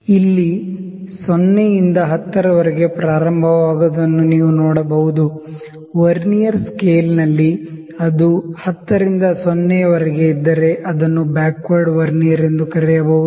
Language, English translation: Kannada, You can see that reading first starts from 0 to 10, had it been from 10 to 0 it might be called as on the Vernier scale on the very had it been from 10 to 0 it might be called as a backward Vernier